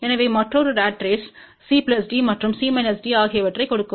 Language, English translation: Tamil, So, another ratrace will give C plus D and C minus D